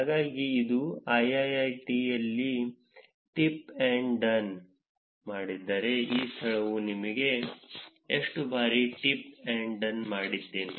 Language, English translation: Kannada, So, if I do tip or a done in IIIT, how frequently do I actually do a tip or a done in that location